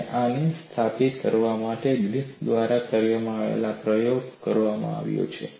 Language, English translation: Gujarati, What is the kind of experiment with Griffith performed to establish this